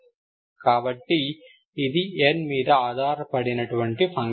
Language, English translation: Telugu, That depends on n